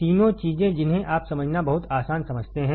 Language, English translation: Hindi, All three things you understand very easy to understand